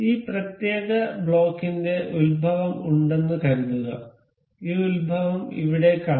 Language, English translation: Malayalam, Suppose this particular block has its origin we can see this origin over here